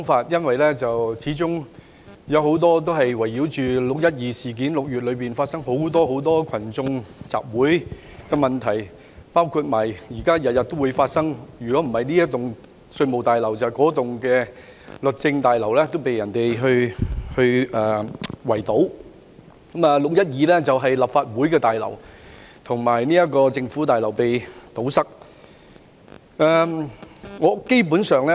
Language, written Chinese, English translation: Cantonese, 議案基本圍繞"六一二"事件，以及6月發生的多次群眾集會，包括近來每天發起的行動，例如圍堵稅務大樓、律政中心等，而6月12日則是立法會綜合大樓和政府總部被圍堵。, The motion is basically centred on the 12 June incident and the various public assemblies that took place in June including campaigns initiated on a daily basis such as besieging the Revenue Tower and the Justice Place . On 12 June the Legislative Council Complex and the Central Government Offices were besieged